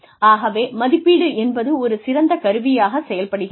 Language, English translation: Tamil, So, appraisal serve as an excellent tool